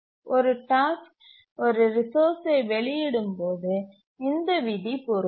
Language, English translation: Tamil, The first rule applies when a task requests a resource